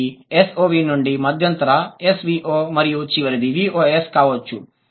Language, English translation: Telugu, So, from S O V, the intermediary is S V O and the final one could be V O S